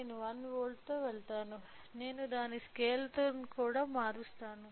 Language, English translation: Telugu, I will go with 1 volt, I am also changing the scale of it